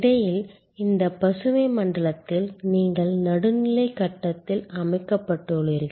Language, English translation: Tamil, And in between in this green zone you are set of in a neutral phase